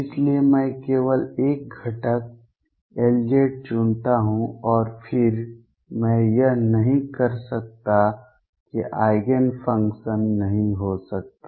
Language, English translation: Hindi, So, I choose only 1 component L z and then I cannot that cannot be the Eigen function